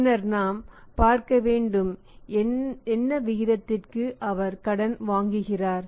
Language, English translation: Tamil, And then in this case she would see that what rate he is borrowing